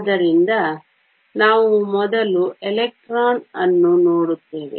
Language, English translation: Kannada, So, we will first look at the electron